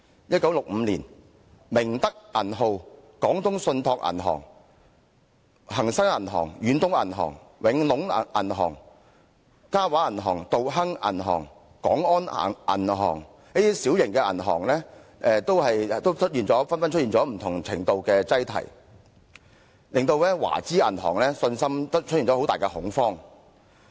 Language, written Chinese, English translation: Cantonese, 1965年，明德銀號、廣東信託銀行、恒生銀行、遠東銀行、永隆銀行、嘉華銀行、道亨銀行和廣安銀行等小型銀行紛紛出現不同程度的擠提，令市民對華資銀行失去信心，出現很大恐慌。, In 1965 there were runs of varying degrees on small banks such as the Ming Tak Bank the Canton Trust Commercial Bank Hang Seng Bank Far East Bank Wing Lung Bank Ka Wah Bank Dao Heng Bank and the Kwong On Bank leading to a loss of public confidence in Chinese banks and widespread panic